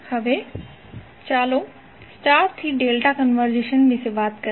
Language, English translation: Gujarati, Now, let us talk about star to delta conversion